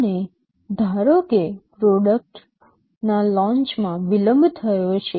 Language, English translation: Gujarati, And suppose there is a delay in the product launch